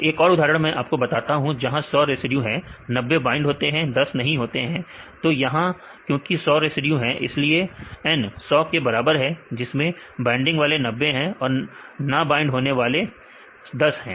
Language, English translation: Hindi, So, I another example I tell you I will show you if there are 100 residues; 90 are binding and 10 are non binding; there is 100 residues, N equal to 100, binding equal to 90 and non binding equal to 10